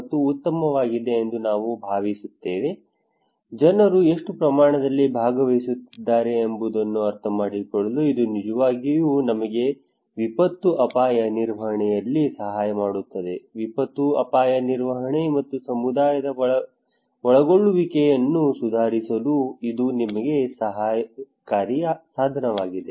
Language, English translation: Kannada, I hope this is fine, now let us look that can it really help us to understand what extent how people are participating in disaster risk management, can it be a helpful tool for us to improve disaster risk management and community involvement